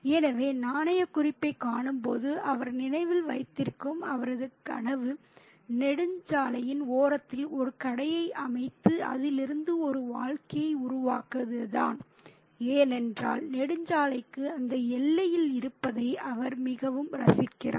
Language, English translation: Tamil, So, his dream, which he remembers when he sees the currency node, is to set up a shop by the side of the highway and make a living out of it, because he really enjoys being there out in the, in that border to the highway